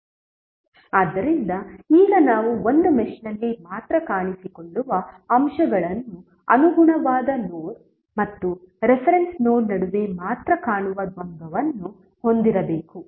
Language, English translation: Kannada, So now let us summaries what we have done the elements that appear only in one mesh must have dual that appear between the corresponding node and reference node only